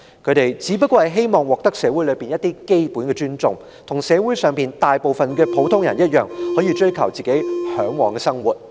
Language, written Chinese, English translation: Cantonese, 他們只是希望在社會上獲得基本的尊重，並能像社會上大多數人士一般，可以自由地追求自己嚮往的生活而已。, All they ask for is nothing more than basic respect and they just wish they are like the majority of people in society who are free to pursue the kind of life they desire